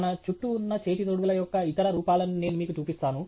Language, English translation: Telugu, I will show you other forms of gloves that are around